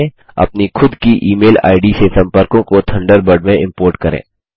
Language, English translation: Hindi, We have imported the Gmail address book to Thunderbird